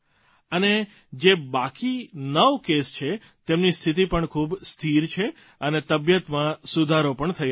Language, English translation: Gujarati, And the remaining nine cases are also very stable and doing well